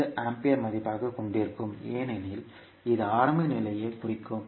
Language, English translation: Tamil, 5 ampere as value because this will represent initial condition